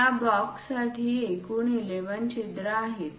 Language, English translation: Marathi, In total 11 holes are there for this box